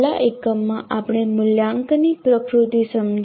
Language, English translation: Gujarati, In the last unit we understood the nature of assessment